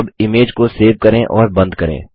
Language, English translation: Hindi, Now, lets save and close the image